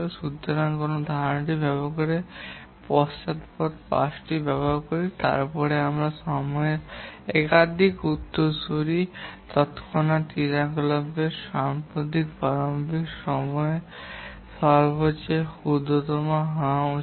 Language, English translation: Bengali, So using that concept we use the backward pass and then if there are more than one successor, the smallest of the lattice start time of the activities immediate successor has to be put